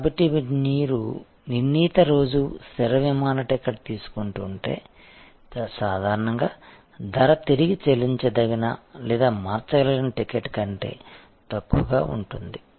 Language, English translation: Telugu, So, if you are taking a fixed day, fixed flight ticket, usually the price will be lower than a ticket which is refundable or changeable